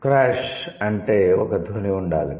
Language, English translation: Telugu, Crash, that means there must be a sound